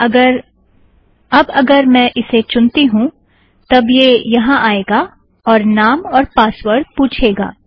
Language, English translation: Hindi, So now if I choose this, It will come and say, give the name and password